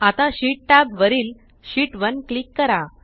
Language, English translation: Marathi, Now, on the Sheet tab click on Sheet 1